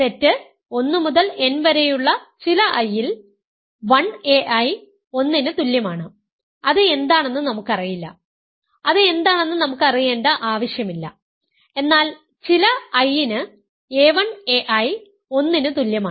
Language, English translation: Malayalam, So, a 1 a i is equal to 1 for some i from 1 to n, we do not know what it is, we do not need to know what it is, but for some i, a 1 a i is equal to 1